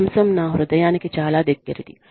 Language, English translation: Telugu, Topic, very, very, close to my heart